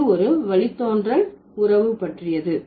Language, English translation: Tamil, It's about derivational relationship